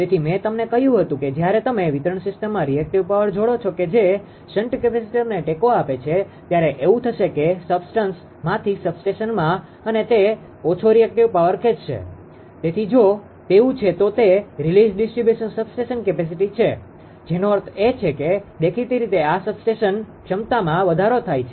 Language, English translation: Gujarati, So, I told you that in distinguishing system as soon as you as soon as you connect the you are what to call that ah reactive power ah this support the shunt capacitor then what will happen that substation from the substances and it will draw less ah reactive power therefore, it therefore, the if if if it is so, then it is releasing distribution substation capacity that will apparently this as if substation capacity increase